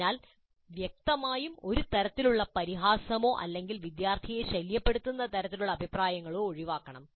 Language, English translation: Malayalam, So obviously a kind of ridiculing or the kind of comments which essentially disturb the student should be avoided